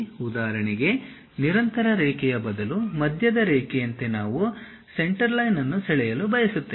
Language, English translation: Kannada, For example, like a center line instead of a continuous line we would like to draw a Centerline